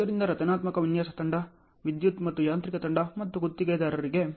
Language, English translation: Kannada, So, structural design team, electrical and mechanical team and there is a contractor